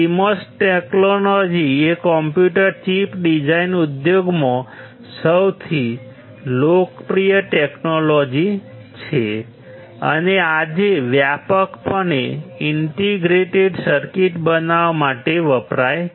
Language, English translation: Gujarati, CMOS technology is one of the most popular technology in the computer chip design industry, and broadly used today to form integrated circuits